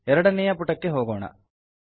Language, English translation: Kannada, Let us go to the second page